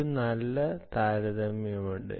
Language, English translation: Malayalam, there is a nice comparison